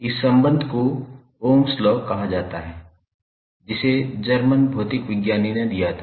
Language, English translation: Hindi, This relationship is called as Ohms law, which was given by the, that German physicist